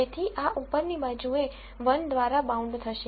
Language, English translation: Gujarati, So, this will be bounded by 1 on the upper side